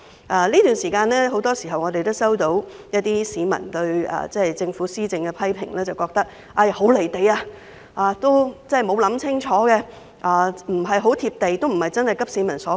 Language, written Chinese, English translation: Cantonese, 在這段時間，我們經常聽到市民對政府的批評，認為政府施政很"離地"，沒有考慮清楚，並非急市民所急。, Over the past period of time there have been frequent public criticisms that government policies are out of touch with social reality and ill - thought and have failed to address the pressing needs of the people